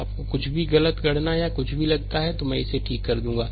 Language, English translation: Hindi, Anything you find that wrong calculation or anything then I will rectify it